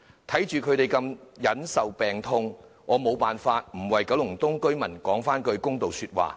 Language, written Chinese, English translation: Cantonese, 看着他們受病痛之苦，我無法不為九龍東居民說句公道話。, As I watch them tormented by illnesses I cannot but make fair remarks for the residents of Kowloon East